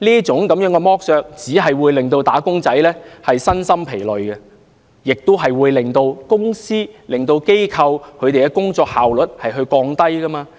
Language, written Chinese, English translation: Cantonese, 這樣子剝削，只會令"打工仔"身心疲累，並且會令公司、機構的工作效率下降。, Employees who are subjected to such exploitation will be weary in body and mind and their work efficiency will drop